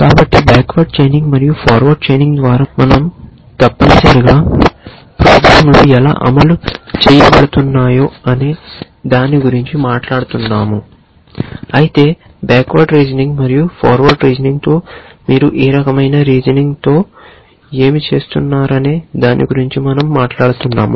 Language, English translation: Telugu, So, by backward chaining and forward chaining we essentially are talking about how the programs are implemented whereas with backward reasoning and forward reasoning we are talking about what is the kind of reasoning you are doing